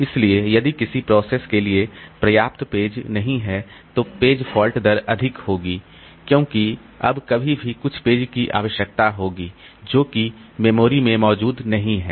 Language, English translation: Hindi, So, if a process does not have enough pages, page fault rate will be high because every now and then some page will be required which is not there in the memory